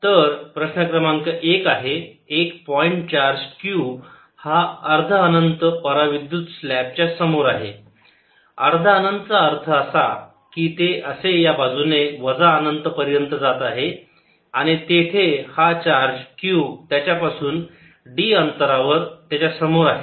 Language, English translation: Marathi, so question number one: a point charge q is in front of a dielectric semi infinite slab semi infinite means it's all the way going upto minus infinity on this side and there is a charge q in front of it at a distance d